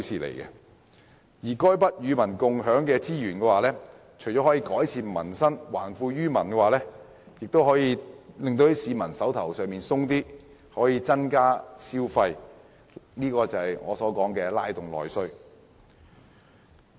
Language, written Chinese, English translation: Cantonese, 這些與民共享的資源，除了可改善民生、還富於民外，也可令市民"手頭"鬆一點，從而刺激消費，即我所指的"拉動內需"。, These resources to be shared with the public can not only improve their livelihood but also return wealth to them . What is more people will have more cash on hand thereby stimulating spending or as I mentioned just now internal demand